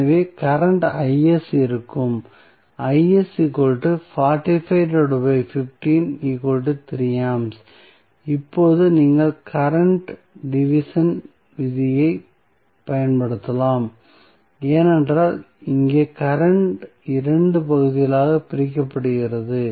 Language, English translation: Tamil, Now, you can use current division rule, because here the current is being divided into 2 parts